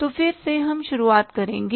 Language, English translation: Hindi, So again we will start with